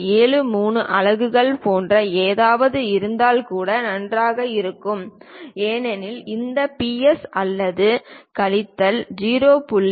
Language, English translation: Tamil, 73 units that is also perfectly fine, because this plus or minus 0